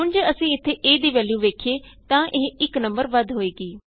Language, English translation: Punjabi, Now if we see the value of a here, it has been incremented by 1